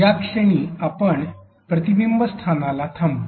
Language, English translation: Marathi, At this point let us pause at a reflection spot